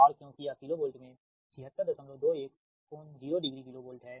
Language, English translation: Hindi, so, and because this is in kilo volt, seventy six point two, one angle zero is kilo volt